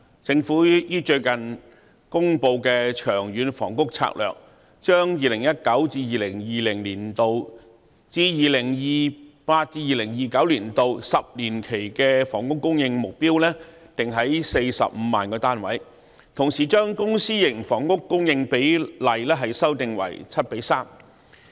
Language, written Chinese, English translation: Cantonese, 政府最近公布的《長遠房屋策略》，將 2019-2020 年度至 2028-2029 年度10年期的房屋供應目標定於45萬個單位，同時將公私營房屋供應比例修訂為 7：3。, In the recently announced Long Term Housing Strategy the Government set the housing supply target in the 10 - year period from 2019 - 2020 to 2028 - 2029 at 450 000 units and at the same time revised the ratio of public to private housing supply to 7col3